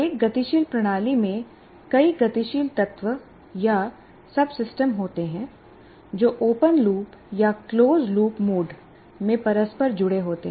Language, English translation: Hindi, And a dynamic system consists of several dynamic elements or subsystems interconnected in open loop or closed loop mode